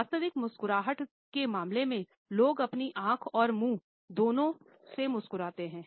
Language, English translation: Hindi, In case of genuine smiles, people smile both with their eyes and mouth